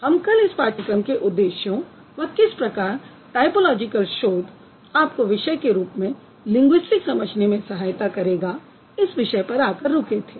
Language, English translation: Hindi, We stopped at the goals of the course and how typology is going to help you or typological research is going to help you to understand linguistics as a discipline better